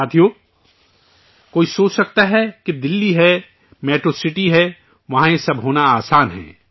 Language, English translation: Urdu, Friends, one may think that it is Delhi, a metro city, it is easy to have all this here